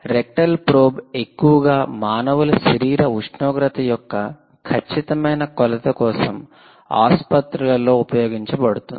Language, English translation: Telugu, rectal probe is actually used in most of the hospitals for exact measurement of core body temperature of the human being